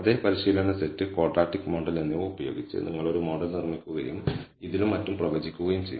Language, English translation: Malayalam, You will also build a model using the same training set, quadratic model, and predict it on this and so on, so forth